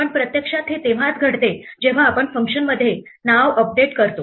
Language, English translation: Marathi, But actually this happens only when we update the name inside the function